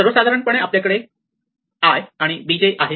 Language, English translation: Marathi, So, in general we have a i and b j right